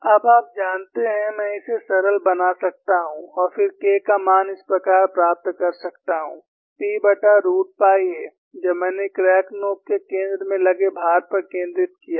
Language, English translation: Hindi, Now, you know, I can simplify this and then get the value of K as like this, P by root of pi a, when I have concentrated load acting at the center of the crack tip